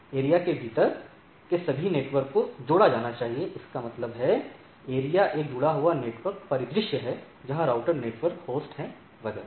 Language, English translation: Hindi, So, the all the network within the area should be connected; that means, area is a connected network scenario; where there are routers networks host etcetera